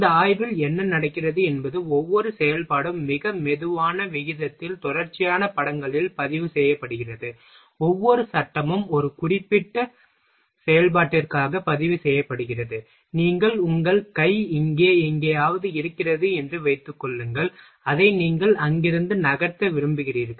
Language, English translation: Tamil, In this study what happens each operation is recorded at a very slower rate, continuous images, each frame is recorded for a certain operation suppose that you are your hand is somewhere here, and you want to move it from there so